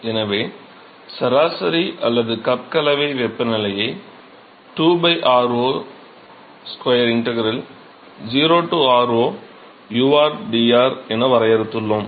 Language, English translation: Tamil, So, we defined the mean or cup mixing temperature is given by 2 by r0 square integral 0 to r0, u rdr